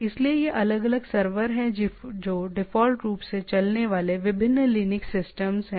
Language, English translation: Hindi, So, these are the different servers which are different Linux systems run by default